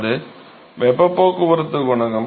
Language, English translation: Tamil, So, that is the heat transport coefficient ok